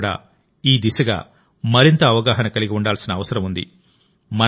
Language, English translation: Telugu, We ourselves also need to be more and more aware in this direction